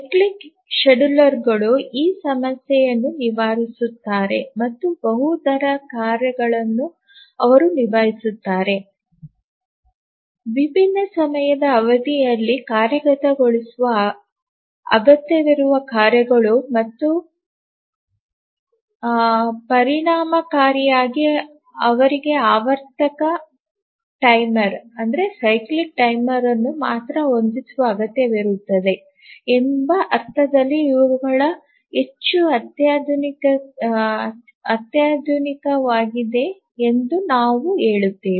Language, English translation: Kannada, And then we had said that the cyclic schedulers overcome this problem and also these are much more sophisticated in the sense that they can handle multi rate tasks, tasks requiring execution in different time periods and that too efficiently they require a cyclic periodic timer only once during the system initialization